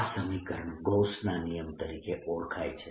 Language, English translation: Gujarati, this is similar to the integral form of gauss's law